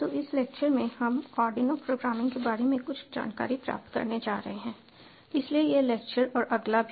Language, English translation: Hindi, so in this lecture we are going to get some hands on of ardunio programming and ah